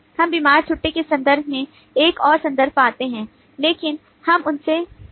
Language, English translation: Hindi, we do find another reference in terms of sick leave, but we do not find too many of them